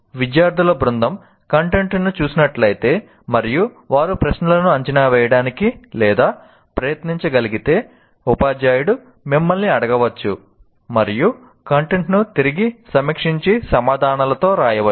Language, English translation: Telugu, If a group of students are looking at the content and they are able to try to predict the questions, the teacher might ask, you will go around and review the content and come with the answers